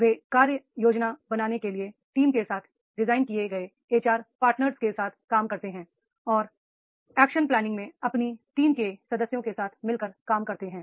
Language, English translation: Hindi, They work with the HR partners designed to the team to build focus action plan and work closely with the team members in action planning